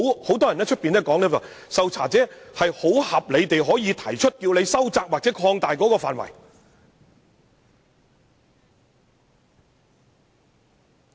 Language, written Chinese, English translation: Cantonese, 很多人說，受查者可合理要求收窄或擴大調查範圍。, Many people argue that the subject of inquiry can reasonably request to narrow or expand the scope of inquiry